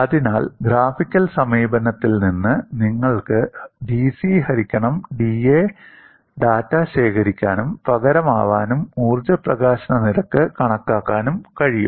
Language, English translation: Malayalam, So, from the graphical approach, it is possible for you to collect the data of dC by da, substitute, and calculate the energy release rate